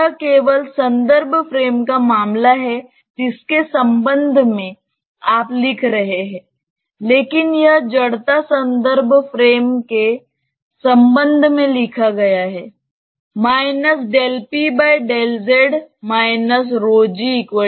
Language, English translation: Hindi, It is just a matter of the reference frame with respect to which you are writing, but this is written with respect to the inertial reference frame